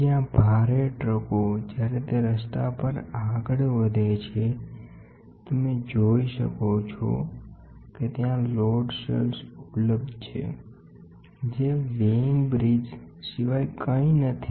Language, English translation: Gujarati, By the way, where the heavy trucks when it moves on the road, you can see there are load cells available which are nothing but weighing bridges